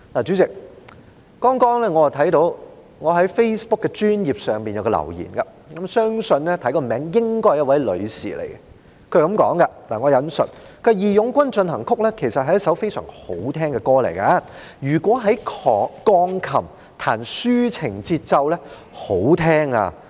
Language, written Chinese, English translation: Cantonese, 主席，剛剛我看到在我的 Facebook 專頁上有一個留言，從名字來看，相信是一位女士，她說："'義勇軍進行曲'其實是一首非常好聽的歌，如以鋼琴彈出抒情的節奏，那是很好聽的！, Chairman just now I saw in my Facebook page a comment which I think was made by a lady judging from the name . She said and I quote March of the Volunteers is actually a very nice song and if its melody is played softly with a piano it will be most pleasing to the ear!